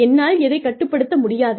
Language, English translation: Tamil, What i cannot control